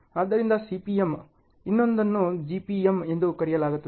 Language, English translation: Kannada, So, CPM, the other one is called GPM ok